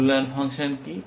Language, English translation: Bengali, What is the evaluation function